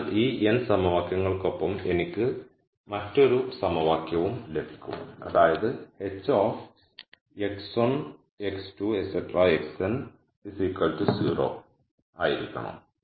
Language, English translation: Malayalam, So, with these n equations I will also get another equation which is that h of x 1 x 2 x n has to be equal to 0